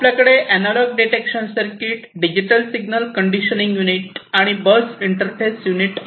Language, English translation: Marathi, Then we have the analog detection circuit, digital signal conditioning unit, and interfacing unit to the bus